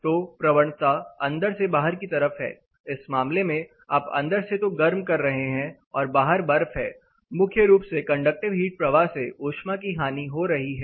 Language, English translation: Hindi, So, the gradient is inside to outside in this case, you are heating it the ambient it is snow, conductive heat loss takes the primary thing